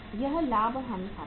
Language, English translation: Hindi, This is the profit and loss account